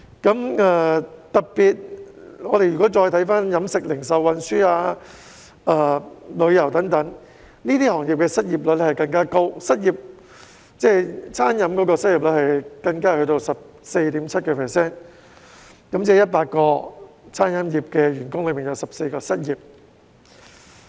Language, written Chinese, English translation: Cantonese, 我們特別看看飲食、零售、運輸、旅遊等行業，這些行業的失業率更加高，餐飲業的失業率高達 14.7%， 即每100個餐飲業員工便有14人失業。, Let us take a look at the catering retail transport and tourism sectors in particular . The unemployment rates of these sectors were even higher . The unemployment rate of the catering sector was as high as 14.7 % meaning that 14 out of every 100 employees in this sector were unemployed